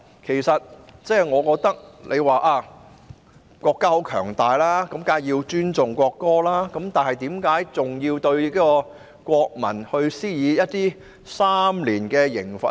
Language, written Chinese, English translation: Cantonese, 有人說國家十分強大，當然要尊重國歌，但為何還要對國民施加3年的監禁刑罰呢？, Some people said that our country is strong and powerful and we certainly have to respect the national anthem . But why should it still be necessary to impose on the people an imprisonment for three years?